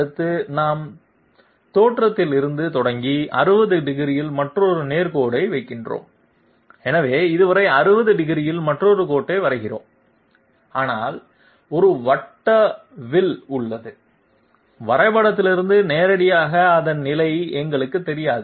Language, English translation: Tamil, Next we have another straight line at 60 degrees starting from the origin, so we draw another line at 60 degrees so far so good, but there is a circular arc here, we do not know its position directly from the drawing